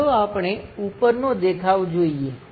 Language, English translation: Gujarati, Let us look at top view